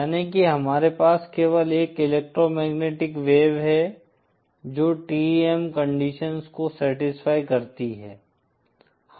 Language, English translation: Hindi, That is we have only one electromagnetic wave which satisfy the TEM conditions